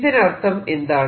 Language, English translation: Malayalam, what does it say